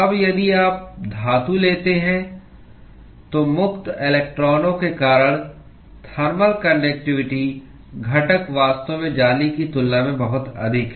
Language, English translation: Hindi, Now, if you take metals, then the thermal conductivity component due to free electrons is actually much higher that of the lattice